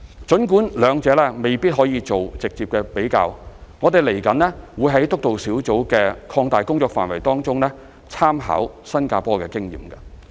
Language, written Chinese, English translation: Cantonese, 儘管兩者未能直接比較，我們未來會在督導小組的擴大工作範圍中參考新加坡的經驗。, While the two systems are not directly comparable we will look into the experience of Singapore in the expanded remit of the Steering Group